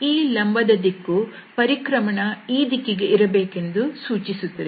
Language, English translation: Kannada, So, this normal direction suggests that this rotation will be in this direction